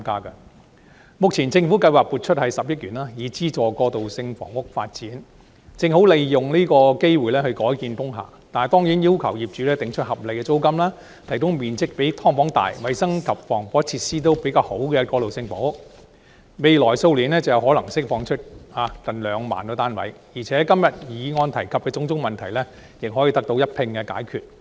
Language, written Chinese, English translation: Cantonese, 政府目前計劃撥出10億元資助過渡性房屋的發展，正好利用這個機會改建工廈；但是，政府必須要求業主訂出合理租金，提供面積比"劏房"大、衞生及防火設施較好的過渡性房屋，未來數年便可能釋放出近兩萬個單位，議案今天提及的種種問題亦可以一併解決。, With the Governments plan of allocating 1 billion to developing transitional housing it should be a good time for conversion of industrial buildings . However the Government must require owners to set reasonable rentals and provide transitional housing with more floor space than subdivided units better hygiene and fire protection facilities . By doing so nearly 20 000 units could be released to the market in the next few years resolving the various problems set out in todays motion in one go